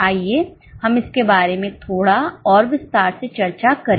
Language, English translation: Hindi, Let us discuss it in little more details